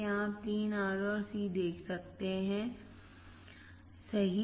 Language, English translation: Hindi, Here you can see 3 R and Cs right